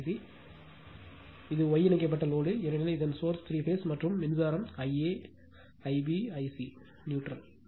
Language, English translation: Tamil, This is the source, and this is the star connected load, because in three phase right and current through this it is I a, this I b, and I c is neutral